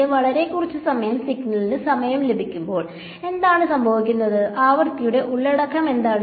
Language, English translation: Malayalam, There what happens when I have a very short lived signaling time, what is the frequency content